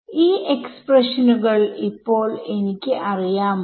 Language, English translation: Malayalam, Now, do I have these expressions with me